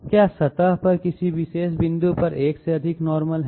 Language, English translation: Hindi, Is there more than one normal at a particular point on the surface